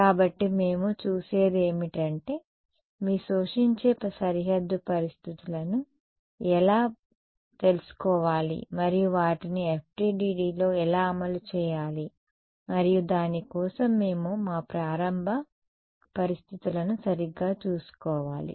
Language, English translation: Telugu, So, what we have what we have looked at is how to take your absorbing boundary conditions and implement them in FDTD and for that we need to take care of our very initial conditions right